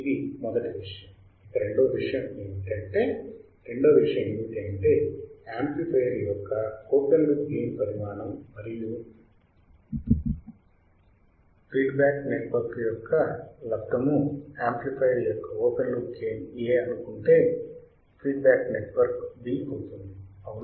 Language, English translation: Telugu, Second thing is, first thing is this, second thing is the magnitude of the product of open loop gain of the amplifier and feedback network what is open loop gain of the amplifier A, what is feedback network beta right